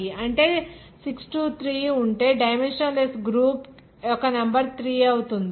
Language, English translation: Telugu, That is 6 3 that is 3 number of the dimensionless group will be formed